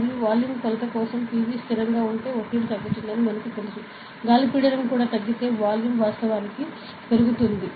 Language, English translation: Telugu, And for volume measurement, as I said PV is a constant ok, if pressure decreases we know that the volume of air also ok, if pressure decreases then the volume actually increase ok